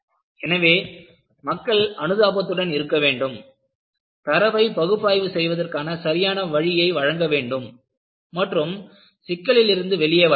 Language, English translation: Tamil, So, people have to be sympathetic and provide proper way of analyzing data and come out of the problem